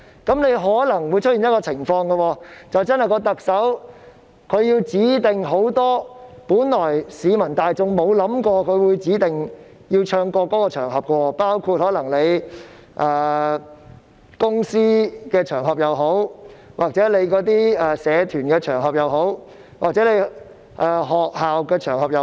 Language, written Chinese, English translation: Cantonese, 這樣可能會出現一種情況，就是特首指定了很多的場合是市民大眾沒想過要唱國歌的，包括公司場合、社團場合或學校場合。, This may give rise to the scenario where the Chief Executive has specified many occasions which the public have never expected that the national anthem must be played and sung including occasions involving offices societies or schools